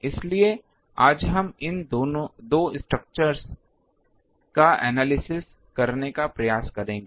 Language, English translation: Hindi, So, these 2 structure today we will try to analyze